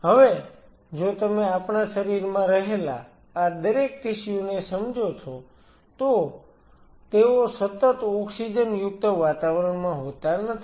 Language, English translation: Gujarati, Now, if you realize each one of these tissues which are there in our body, they are not continuously in an oxygenated environment